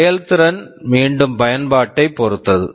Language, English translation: Tamil, Performance again depends on the application